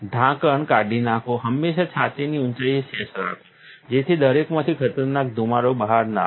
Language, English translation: Gujarati, Take off the lid, always have the sash at chest height to a not make dangerous fumes come out into everybody